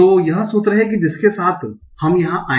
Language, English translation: Hindi, So this is the formula that we came up with